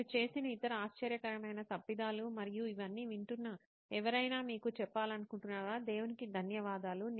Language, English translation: Telugu, Any other startling mistakes that you made and you want somebody who is listening to all this say oh thank god